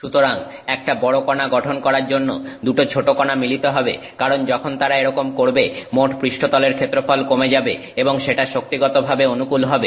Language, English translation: Bengali, So, two tiny particles will coales to form larger particle because when they do so, the total surface area comes down and that is energetically favorable